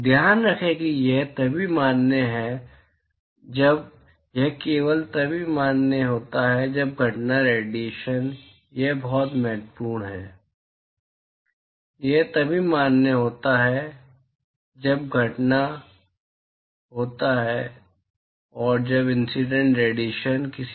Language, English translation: Hindi, Keep in mind that this is only if the this is valid only when incident irradiation this is very important this is valid only when the incident radiation is that of a black body radiation